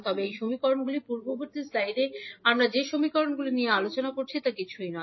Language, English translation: Bengali, So, if you see these two equations these equations are nothing but the equations which we discussed in our previous slide